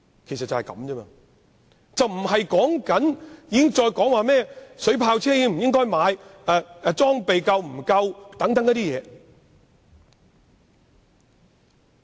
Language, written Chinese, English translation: Cantonese, 今天的討論無關應否購買水炮車或警方裝備是否足夠等事宜。, Todays discussion is not related to issues such as whether water cannon vehicles should be purchased or whether the equipment of the Police is adequate